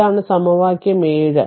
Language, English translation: Malayalam, This is the equation 7 right